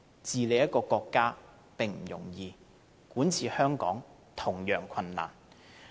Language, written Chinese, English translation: Cantonese, 治理國家並不容易，管治香港同樣困難。, It is not easy to govern a country and administrating Hong Kong is equally difficult